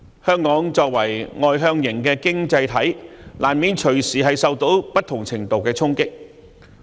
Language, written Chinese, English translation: Cantonese, 香港作為外向型的經濟體，難免隨時受到不同程度的衝擊。, Hong Kong as an externally oriented economy will inevitably suffer impact of various degrees